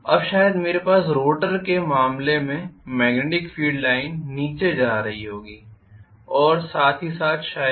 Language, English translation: Hindi, Now maybe I will have the magnetic field line going down in the case of Rotor as well maybe